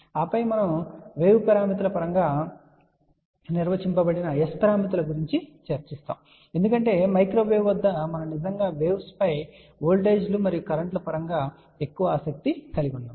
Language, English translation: Telugu, And then we will talk about S parameters which are defined in terms of wave parameters because at microwave we actually are more interested in the waves then just in voltages and currents